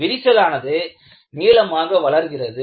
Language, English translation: Tamil, The crack grows in length